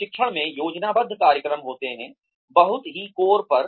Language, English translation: Hindi, Training consists of planned programs, at the very core